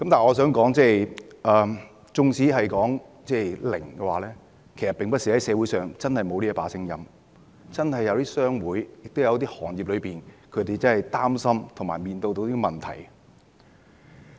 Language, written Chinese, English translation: Cantonese, 我想說的是，縱使是零侍產假，社會上其實也並非沒有這種聲音，有一些商會或行業真的會擔心和面對一些問題。, Well my point is that even for zero paternity leave there are also voices in support of it in society . Some chambers of commerce or industries are really worried and faced with certain problems